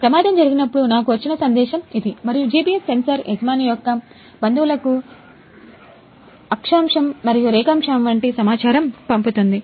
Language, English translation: Telugu, This is the message I got when the accident happened and the GPS sensor sends the latitude and longitude to the owner’s relatives